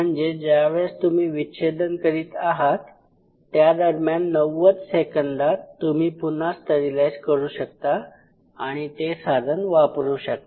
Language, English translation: Marathi, So, while you are dissecting you can always you know re sterilize it in 90 seconds and it still you can use